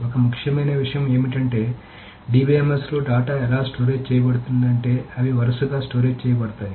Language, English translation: Telugu, So, one important thing is that how is data stored in DBMS is they are stored in a row manner